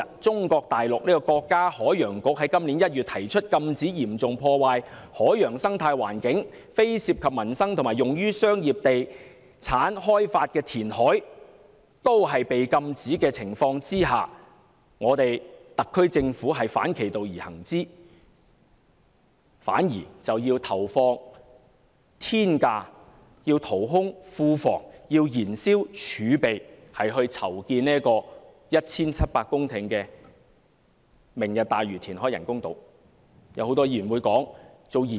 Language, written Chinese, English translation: Cantonese, 中國大陸國家海洋局在今年1月提出，禁止嚴重破壞海洋生態環境、非涉及民生及用於商業地產開發的填海，但在這情況下，特區政府竟反其道而行，投放天價成本、淘空庫房、燃燒儲備來填海 1,700 公頃建造"明日大嶼"人工島。, In January this year the State Oceanic Administration announced the prohibition of reclamation which will damage the marine ecosystem does not involve peoples livelihood and is for commercial and estate development . Against this background the SAR Government acts the opposite by launching the reclamation of 1 700 hectares for the construction of the Lantau Tomorrow artificial islands by paying an astronomical cost emptying the coffers and exhausting the fiscal reserve